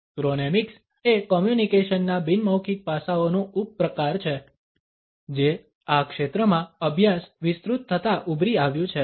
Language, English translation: Gujarati, Chronemics is a subcategory of nonverbal aspects of communication which has emerged as the studies in this field broadened